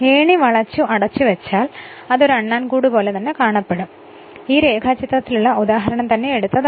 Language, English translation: Malayalam, And if you enclose this ladder it will look like a squirrel cage that is why these example is this diagram is taken